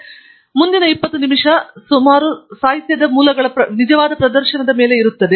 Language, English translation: Kannada, And then, the next twenty minutes roughly will be on actual demonstration of the various literature sources